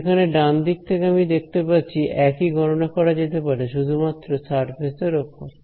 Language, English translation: Bengali, Whereas, the right hand side is telling me that the same calculation can be done only on the surface I need not go in right